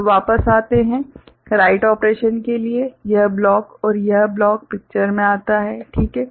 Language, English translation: Hindi, So, coming back; for the write operation this block and this block come into picture, right